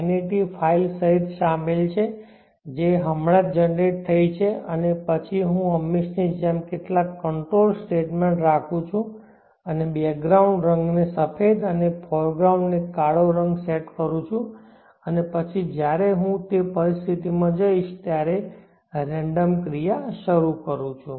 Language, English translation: Gujarati, NET 5 which got just generated and then I am as usual having some control statements and setting the background color to white and foreground color to black and then initiating the random action once I go into the environment